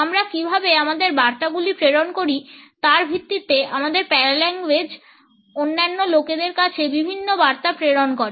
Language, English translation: Bengali, Our paralanguage communicates different messages to the other people on the basis of how we pass on our messages